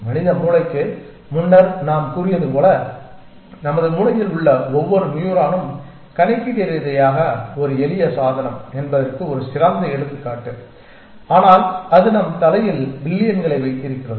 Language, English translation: Tamil, And as we might have said before the human brain is a perfect example of that every neuron in our brain is computationally a simple device, but it just that we have billions of them in our head